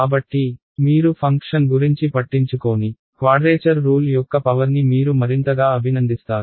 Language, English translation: Telugu, So, more and more you will appreciate the power of a quadrature rule you dont care about the function